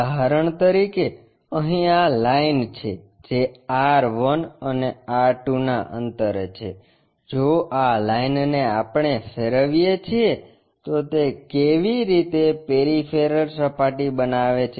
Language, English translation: Gujarati, For example here, this is the line which is at a distance R 1, and R 2, if this line we revolve it, it makes a peripheral surface in that way